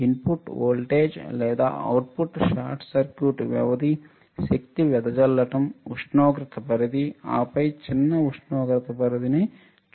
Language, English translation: Telugu, Input voltage or output short circuit duration, power dissipation, temperature range, and then short temperature range